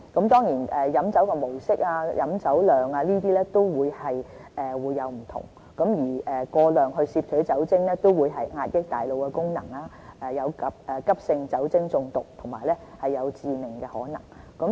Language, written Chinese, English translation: Cantonese, 當然，不同人飲酒的模式和飲酒量會有不同，但是過量攝取酒精會壓抑大腦功能，有急性酒精中毒和致命的可能。, True the pattern and amount of drinking may differ among different persons yet excessive alcohol intake will impair brain function and will possibly lead to acute alcohol poisoning or even death